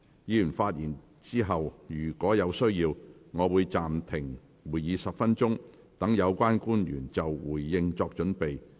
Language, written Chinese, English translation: Cantonese, 議員發言後，若有需要，我會暫停會議10分鐘，讓有關官員就回應作準備。, After Members have spoken if necessary I will suspend the meeting for 10 minutes for the relevant public officers to prepare their response